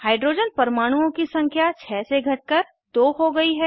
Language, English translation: Hindi, Number of hydrogen atoms reduced from 6 to 2